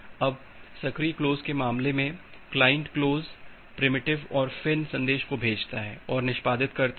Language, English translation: Hindi, Now, in case of the active close, the client send an client execute the close primitive and send a FIN message